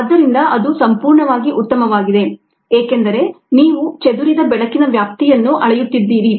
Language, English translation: Kannada, so that's perfectly fine because you are measuring the extent of lights scatter, ah